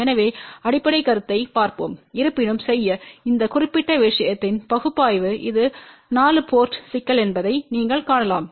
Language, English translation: Tamil, So, let us look at the basic concept , but however, to do the analysis of this particular thing you can see that this is a 4 port problem